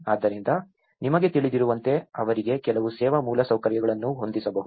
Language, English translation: Kannada, So, that you know, some service infrastructure could be set up for them